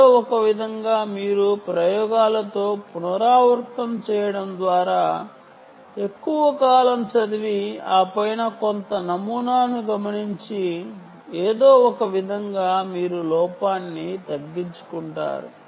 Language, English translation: Telugu, somehow you reduce the error by repeating with experiments, by reading it for long durations of time and then observing some pattern, and then somehow you reduce the error